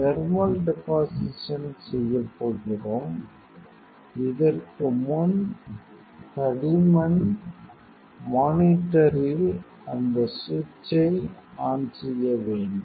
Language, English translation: Tamil, So, we are going to do the before that thermal deposition switch on the digital thickness monitor